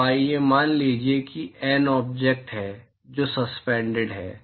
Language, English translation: Hindi, So, let us assume that there are let us say N objects which are suspended